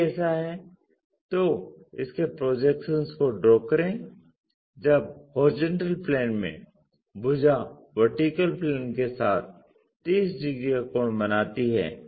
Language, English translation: Hindi, If that is a case draw its projections when this side in HP makes 30 degree angle with vertical plane